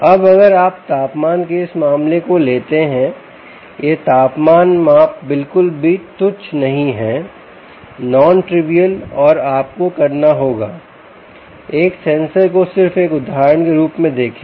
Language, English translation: Hindi, now, if you just take this case of temperature right, this temperature measurement is not at all trivial, nontrivial, ok, and you have to see just one sensor as an example